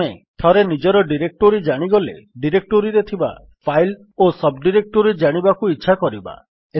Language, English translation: Odia, Once we know of our directory we would also want to know what are the files and sub directories in that directory